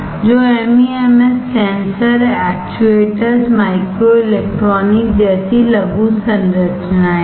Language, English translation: Hindi, So, MEMS are miniaturized structures such as sensors actuators microelectronics